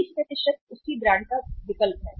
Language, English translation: Hindi, 20% substitute the same brand